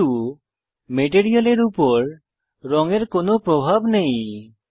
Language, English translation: Bengali, But the color has no effect on the material